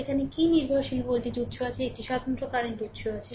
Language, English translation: Bengali, what dependent voltage source is there, one independent current source is there right